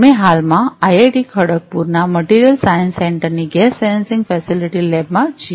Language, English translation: Gujarati, We are actually right now in the gas sensing facility lab of the Material Science Centre of IIT Kharagpur